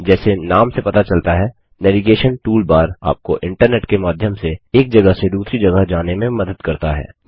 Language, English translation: Hindi, As the name suggests, the Navigation toolbar helps you navigate through the internet